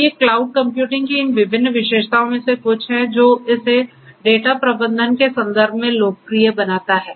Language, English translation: Hindi, So, these are some of these different characteristics of cloud computing which makes it is makes it popular in the context of data management